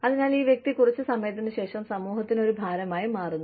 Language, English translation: Malayalam, So, this person, becomes a burden on society, after a while